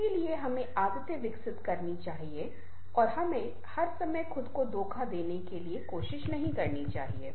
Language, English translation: Hindi, so we should develop habits and we should not all the time try to deceive ourselves